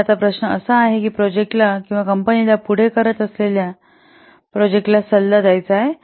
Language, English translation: Marathi, So now the question is, would you advise the project or the company going ahead with the project